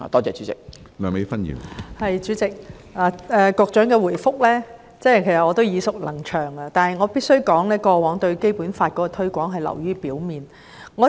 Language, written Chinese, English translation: Cantonese, 主席，局長的答覆我已經耳熟能詳，但我必須指出，政府過往對《基本法》的推廣流於表面。, President the Secretarys reply is familiar to my ears . I am afraid I have to say that the promotion work done by the Government in the past on Basic Law is rather superficial